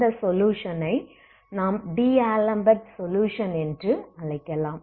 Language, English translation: Tamil, So will try to solve this, this is called the D'Alembert solution